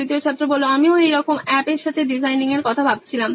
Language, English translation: Bengali, I was thinking about the same of designing an app like this